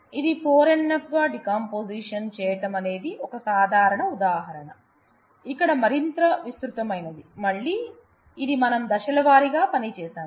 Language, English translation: Telugu, So, this is a simple illustration of decomposition into 4 NF, here is a little more elaborate one, again this is a we have I have worked through the steps